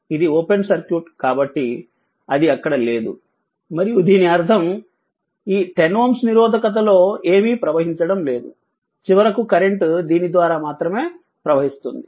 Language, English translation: Telugu, So, in that case what will happen as this is open circuit means it is not there and that means, nothing is flowing in the 10 ohm resistance, and finally a current will flow through this only right